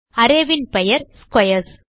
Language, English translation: Tamil, The name of the array is squares